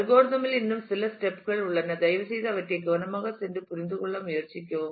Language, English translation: Tamil, There are some more steps in the algorithm please go through them carefully and try to understand